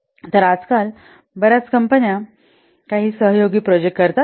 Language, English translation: Marathi, So, nowadays many companies, they do some collaborative projects